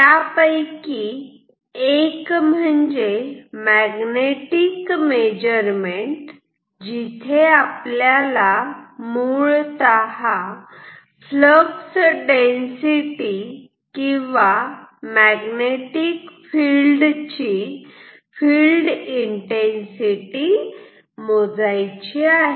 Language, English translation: Marathi, One of them is magnetic measurement, where basically we will measure the Flux density or field intensity of a magnetic field